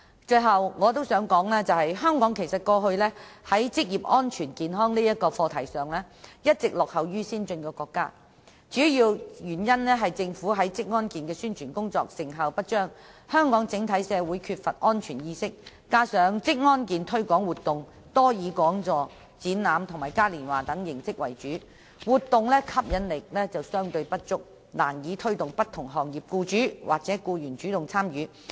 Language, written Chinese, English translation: Cantonese, 最後，我想指出一點，就是香港以往在職業安全健康這個課題上，一直落後於先進國家，主要原因在於政府宣傳職安健的工作成效不彰，香港整體社會缺乏職安健意識，加上職安健推廣活動多以講座、展覽和嘉年華等形式為主，活動的吸引力相對不足，難以推動不同行業的僱主或僱員主動參與。, Finally I would like to point out that with regard to the promotion of occupational safety and health Hong Kong has all along been lagging behind other advanced countries . This is mainly because the Governments efforts in publicizing occupational safety and health are ineffective the people of Hong Kong generally lack awareness of occupational safety and health and the relatively limited attractiveness of the activities held to promote occupational safety and health . As evidenced by past experience it is very difficult to encourage active participation by employers or employees of different trades and industries with the organization of seminars exhibitions and carnivals